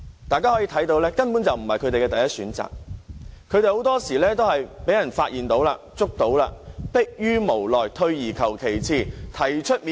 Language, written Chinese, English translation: Cantonese, 大家可以看到，這根本不是他們的第一選擇，很多時候他們都是因為被發現或拘捕時，才逼於無奈，退而求其次。, We can tell that doing so is utterly not their first choice . In most cases they just helplessly resort to the second best alternative available when they are found or arrested